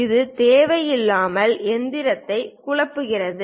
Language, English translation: Tamil, It unnecessarily confuse the machinist